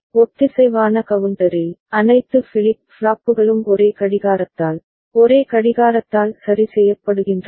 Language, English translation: Tamil, In the synchronous counter, all the flip flops are getting triggered by the same clock, by the same clock ok